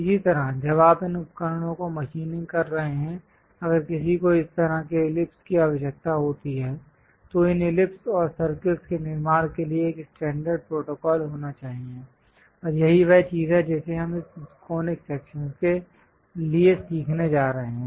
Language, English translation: Hindi, Similarly, when you are machining these tools; if one requires this kind of ellipse is, there should be a standard protocol to construct these ellipse and circles, and that is the thing what we are going to learn for this conic sections